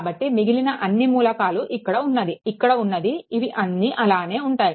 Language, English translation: Telugu, So, rest of the elements this one, this one, this one all will be there, right